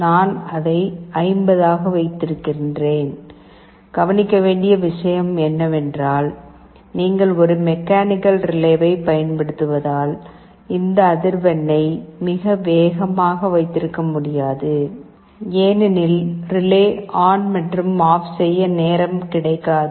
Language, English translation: Tamil, I have kept it as 50; the point to note is that because you using a mechanical relay, you cannot have this frequency too much faster, as the relay will not get time to switch ON and OFF